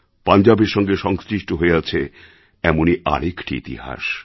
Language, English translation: Bengali, There is another chapter of history associated with Punjab